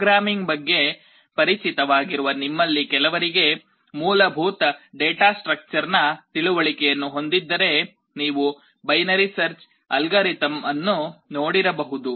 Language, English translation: Kannada, For those of you who are familiar with programming have some basic knowledge and understanding of data structure, you may have come across the binary search algorithm